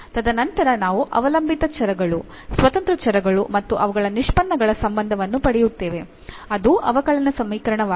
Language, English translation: Kannada, And then we will get a relation of the dependent variables independent variables and their derivatives which is the differential equation